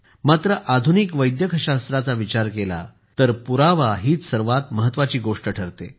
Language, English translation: Marathi, But when it comes to modern Medical Science, the most important thing is Evidence